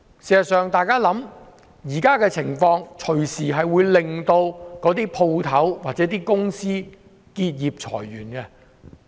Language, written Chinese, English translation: Cantonese, 事實上，現時的情況隨時會導致店鋪或公司結業、裁員。, Indeed shops and companies may wind up their businesses and their staff may become redundant anytime due to the present situation